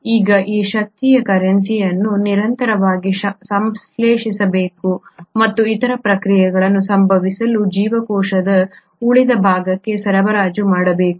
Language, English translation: Kannada, Now this energy currency has to be constantly synthesised and supplied to the rest of the cell for other processes to happen